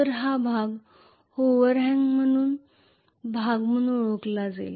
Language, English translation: Marathi, So this portion is known as the overhang portion